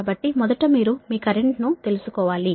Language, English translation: Telugu, so first is you have to find out the, your current